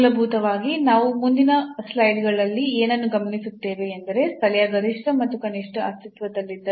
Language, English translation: Kannada, So, basically what we will observe now in the next slides that if the local maximum or minimum exists